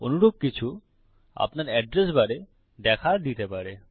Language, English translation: Bengali, Something similar may have appeared in your address bar